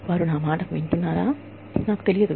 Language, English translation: Telugu, I do not know, if they are listening to me